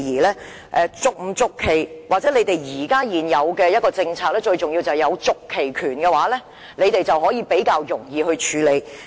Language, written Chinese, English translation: Cantonese, 關於續期與否或現行的政策，最重要的是擁有續期權，因為這樣會較容易處理。, As far as the question of lease extension or the existing policy is concerned the key lies in the right of renewal as it would make things simpler